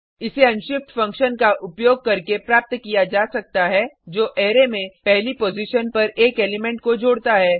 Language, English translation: Hindi, This can be achieved using unshift function which adds an element to an Array at the 1st position shift function which removes the first element from an Array